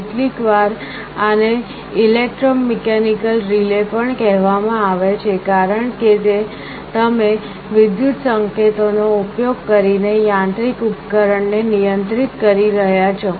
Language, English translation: Gujarati, Sometimes these are also called electromechanical relays, because you are controlling a mechanical device, using electrical signals